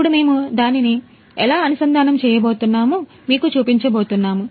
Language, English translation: Telugu, Now, we are going to show you what, how we are going to connect it